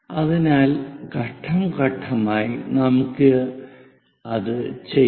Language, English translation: Malayalam, So, let us do that step by step, ok